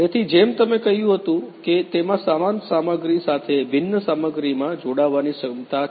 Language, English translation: Gujarati, So, as you told it has the capability to join dissimilar materials with similar materials